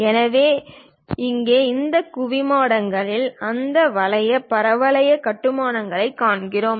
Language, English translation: Tamil, So, here for these domes, we see that kind of parabolic constructions